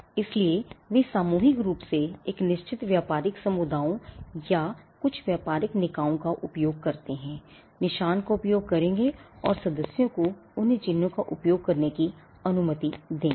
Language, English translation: Hindi, So, they collectively use a mark certain trading communities or certain trading bodies, would use mark and would allow the members to use those marks